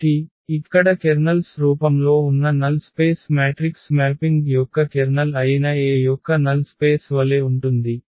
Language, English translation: Telugu, So, here the null space in the form of the kernels is same as the null space of a that is the kernel of the matrix mapping